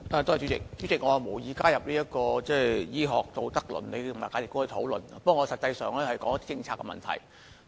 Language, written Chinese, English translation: Cantonese, 主席，我無意加入醫學道德倫理和價值觀的討論，但我想談論政策的問題。, President I have no intention to involve in this discussion of medical moral ethics and values yet I would like to talk about the policies concerned